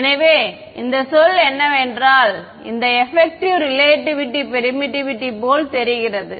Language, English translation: Tamil, So, what is this term look like it looks like effective relative permittivity